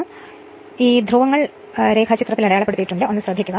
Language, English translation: Malayalam, Then, the polarities of the winding are as marked in the diagram